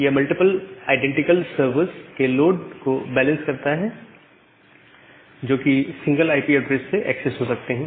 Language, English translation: Hindi, So, balances of load of multiple identical server, they are accessible from a single IP address